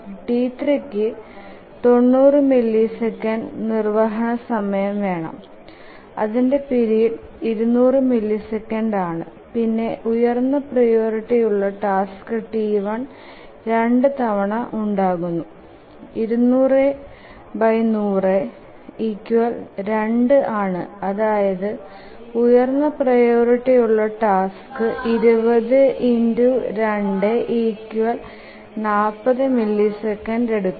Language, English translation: Malayalam, T3 requires 90 millisecond execution time and its period is 200 and the task, T1, the highest priority task can occur twice because 200 by 100 ceiling is equal to 2